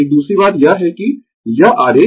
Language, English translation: Hindi, Another thing is that this diagram